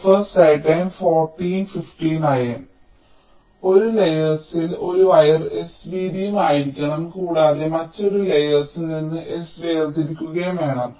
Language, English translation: Malayalam, ok, so on the same layer, we are saying that a wire has to be of width s and has to be of separation s from another layer